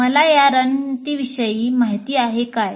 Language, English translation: Marathi, Do I know of those strategies